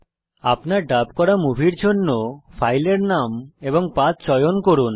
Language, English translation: Bengali, Enter the file name for your dubbed movie and specify the path